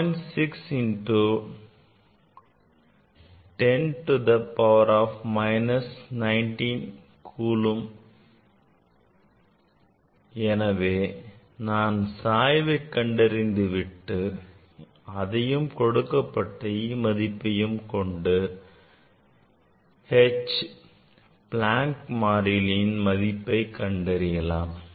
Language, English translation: Tamil, 6 into 10 to the minus 19 coulomb, that is supplied, then you can find out from the slope and from known e, known value of e you can find out h ok, Planck s constant